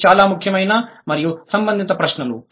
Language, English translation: Telugu, These are extremely important and relevant questions